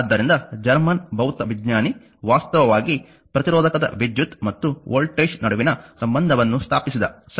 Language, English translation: Kannada, So, here German physicist actually who established the relationship between the current and voltage for a resistor, right